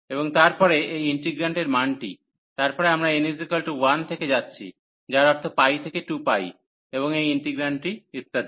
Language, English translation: Bengali, And then this integrant and the value, then we are going from n is equal to 1, so that means pi to 2 pi, and this integrant and so on